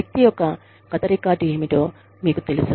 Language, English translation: Telugu, You know, what the person's, past record has been